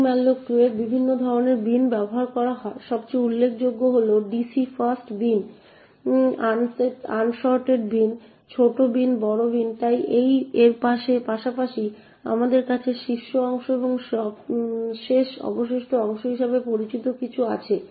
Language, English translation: Bengali, In ptmalloc2 there are different types of bins that are used, most notably are the fast bins, unsorted bins, small bins, large bins, so besides this we have something known as the top chunk and the last remainder chunk